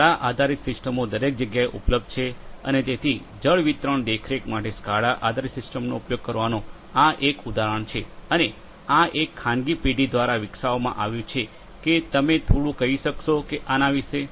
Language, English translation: Gujarati, So, SCADA based systems are available everywhere and you know so this is an example of the use of SCADA based system in for water distribution monitoring and so on and so, this has been developed by one of the private farms what it can you speak little bit about